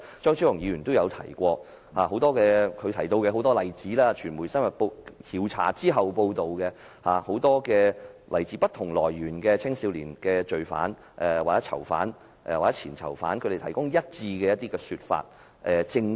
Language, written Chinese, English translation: Cantonese, 張超雄議員也提過這文化問題，也提到很多例子，傳媒深入調查後的報道，提供很多來自不同來源的青少年罪犯、囚犯或前囚犯的一致說法、證供。, Dr Fernando CHEUNG has also mentioned this problem of Government culture and cited a number of examples in - depth investigative report by media . He also quoted consistent narratives and statements provided by various juvenile offenders from different sources